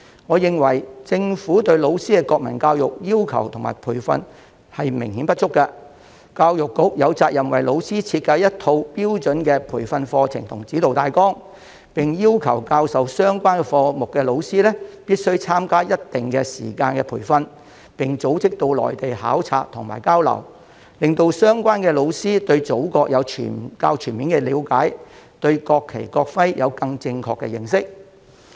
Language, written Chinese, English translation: Cantonese, 我認為政府對老師的國民教育要求和培訓明顯不足，教育局有責任為老師設計一套標準的培訓課程及指導大綱，並要求教授相關科目的老師必須參加一定時間的培訓，並組織到內地考察和交流，令相關老師對祖國有較全面的了解，對國旗、國徽有更正確的認識。, I am of the view that as far as teachers of the national education subject are concerned the Governments requirements and training are obviously inadequate . The Education Bureau does have the responsibility to design a set of standardized outlines for providing training and guidance for teachers require teachers teaching the subject to attend a specified number of hours of training and organize delegations and exchange tours to the Mainland so that the teachers concerned can have a more comprehensive understanding of our Motherland and a more correct perception towards the national flag and national emblem